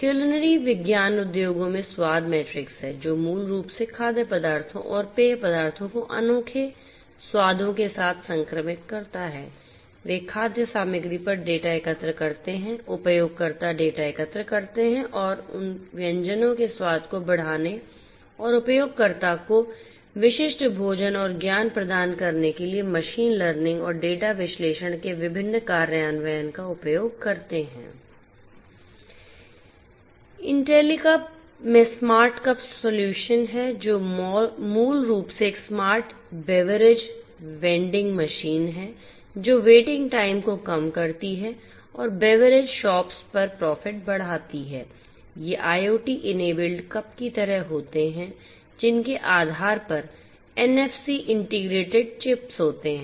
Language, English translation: Hindi, Culinary science industries has the flavor matrix which basically infuses foods and beverages with unique flavors, they collect data on the food ingredients, collect user data and uses different implementations of machine learning and data analysis to enhance the flavor of dishes and provide user specific food and beveraging pairing